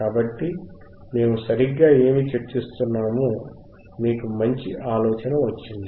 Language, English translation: Telugu, So, you got a better idea of what we are discussing all right